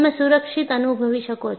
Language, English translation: Gujarati, So, you can feel safe